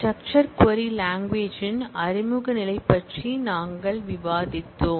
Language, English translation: Tamil, We have discussed about the introductory level of SQL the structured query language